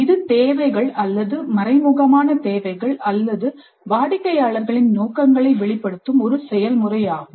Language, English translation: Tamil, So it is more a process of eliciting the requirements or the implicit needs or the intentions of the customers